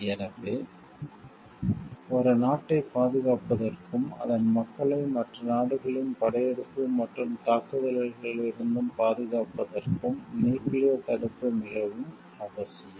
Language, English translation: Tamil, So, nuclear deterrence is very much essential to safeguard a country and protects its people from invasion and, attacks from other countries